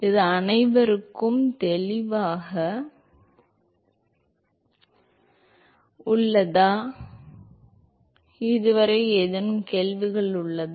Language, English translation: Tamil, Is that cleared to everyone, any questions on this so far